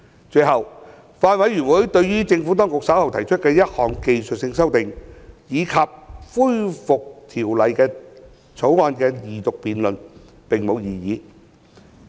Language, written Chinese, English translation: Cantonese, 最後，法案委員會對於政府當局稍後提出的1項技術性修訂，以及恢復《條例草案》二讀辯論，並無異議。, Lastly the Bills Committee has no objection to the technical amendments to be proposed by the Administration later on and the resumption of the Second Reading debate on the Bill